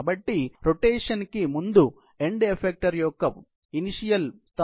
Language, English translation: Telugu, So, initial position of the end effector before rotation was 5, 2, 4